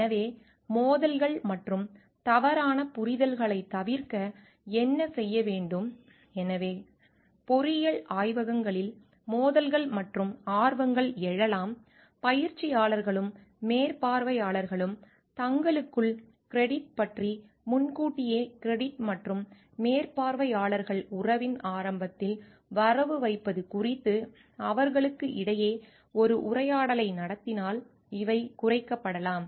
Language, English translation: Tamil, So, what can be done to avoid conflict and misunderstandings so, conflicts and interests may arise in engineering laboratories, these can be reduced if trainees and supervisors have a dialogue between credit between themselves about credit in advance and supervisors crediting early in relationship